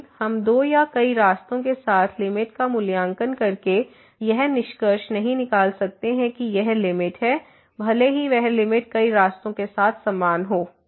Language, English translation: Hindi, But we cannot conclude by evaluating the limit along two or many paths that this is the limit, even though that limit may be same along several paths